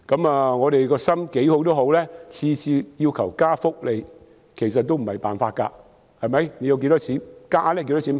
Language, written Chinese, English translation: Cantonese, 無論我們的原意有多好，若每次只要求增加福利也不是辦法，可以增加多少金額呢？, No matter how good our original intention was it will not do if we merely request additional benefits every time . How much additional money can be granted?